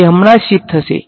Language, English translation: Gujarati, It will just get shifted right